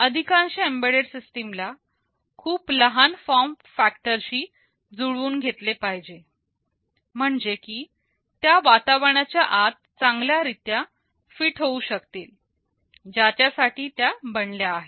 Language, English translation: Marathi, Most of the embedded systems need to conform to a very small form factor, so that it can fit nicely inside the environment for which it is meant